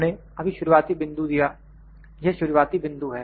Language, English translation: Hindi, We just give the initial point of it this is the starting point